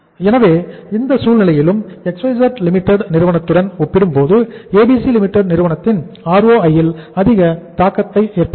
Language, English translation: Tamil, So in this situation also there will be a much higher impact on the ROI of the firm ABC as compared to the firm XYZ Limited